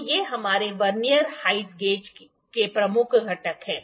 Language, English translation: Hindi, So, these are the major components of our Vernier height gauge